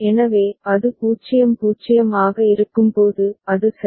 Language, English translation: Tamil, It will be the 0 right